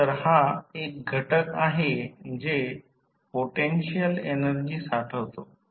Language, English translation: Marathi, So, it is considered to be an element that stores potential energy